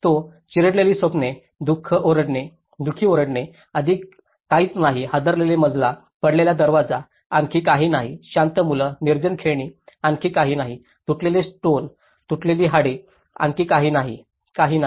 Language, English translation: Marathi, He talks shattered dreams, woeful screams, nothing more, nothing more, shaken floor, fallen door, nothing more, nothing more, silent boys, deserted toys, nothing more, nothing more, tumbled stones, broken bones, nothing more, nothing more